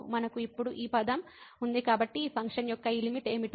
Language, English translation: Telugu, We have this term now so we have to see what is this limit here of this function